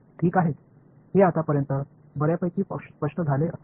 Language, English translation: Marathi, Ok, it should be fairly clear till now